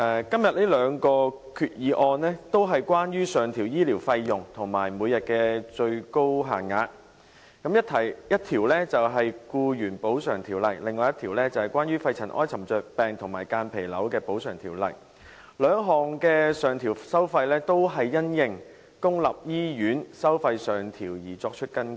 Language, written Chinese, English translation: Cantonese, 今天這兩項決議案，都是關於上調醫療費用和每日最高限額，一項是《僱員補償條例》，另一項是關於《肺塵埃沉着病及間皮瘤條例》，兩項的上調收費均因應公立醫院收費上調而作出更改。, These two resolutions today seek to increase the maximum daily rates of medical expenses . One of them concerns the Employees Compensation Ordinance and the other pertains to the Pneumoconiosis and Mesothelioma Compensation Ordinance . The upward adjustment of the rates of expenses under the two motions is introduced in accordance with the increase in public hospital charges